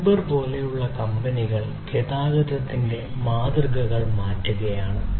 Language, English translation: Malayalam, Companies such as Uber are transforming the models of transportation